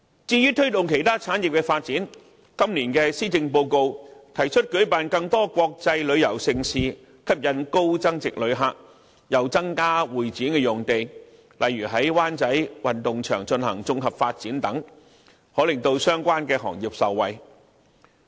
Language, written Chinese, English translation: Cantonese, 至於推動其他產業的發展，今年的施政報告提出舉辦更多國際旅遊盛事，吸引高增值旅客，又增加香港會議展覽中心的用地，例如在灣仔運動場進行綜合發展等，可令相關行業受惠。, As for promoting the development of other industries it is proposed in the Policy Address this year that more international mega events would be organized to attract more high - yield visitors and measures would be taken to increase the supply of convention and exhibition venues such as using the Wan Chai Sports Ground for comprehensive development . I think the relevant sectors would be benefited from such initiatives